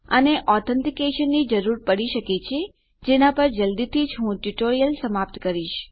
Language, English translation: Gujarati, It may require authentication on which I will be completing the tutorial soon